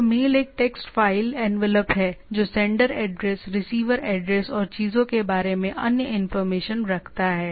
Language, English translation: Hindi, So, mail is a mail is a text file envelope that is sender address, receiver address and other information of the things